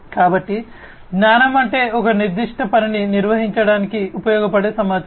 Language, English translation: Telugu, So, knowledge is that information that can be used to perform a particular task